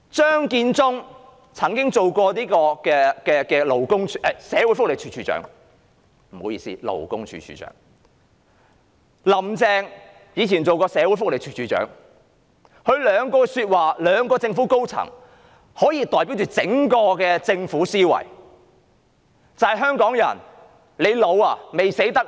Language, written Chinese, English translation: Cantonese, 張建宗曾擔任勞工處處長，"林鄭"以往亦曾擔任社會福利署署長，他們兩人也是政府高層，他們的言論可以代表整個政府的思維，就是："香港人，你老了嗎？, Matthew CHEUNG used to be the Commissioner for Labour whereas Carrie LAM has once been the Director of Social Welfare . Both of them are in the top echelon of the Government so their remarks may represent the mentality of the Government as a whole that is Hongkongers you havent grown old have you?